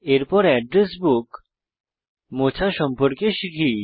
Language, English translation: Bengali, Next, lets learn to delete an Address Book